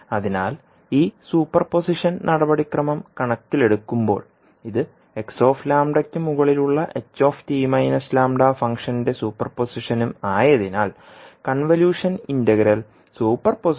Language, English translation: Malayalam, So in view of this the super position procedure because this also super position of function h t minus lambda over x lambda, the convolution integral is also known as the super position integral